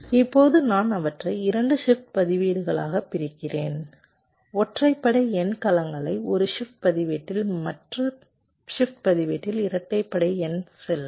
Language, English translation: Tamil, now i split them into two shift registers with the odd number cells in one shift register and the even number cells in the other shift register